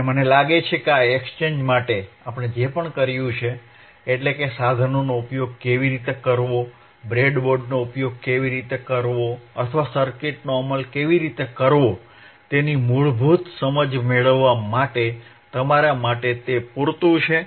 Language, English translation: Gujarati, And I feel that, to this exchange, whatever we have done, it is good enough for you to as a getting a basic understanding of how to use equipment, of how to use the breadboard or how to implement the circuits